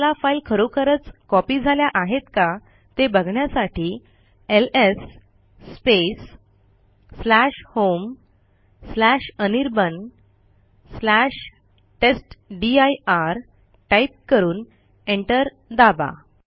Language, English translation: Marathi, You see that this files have actually been copied.We will type ls /home/anirban/testdir and press enter